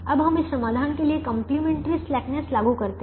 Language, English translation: Hindi, so now let us apply complimentary slackness to the, to this solution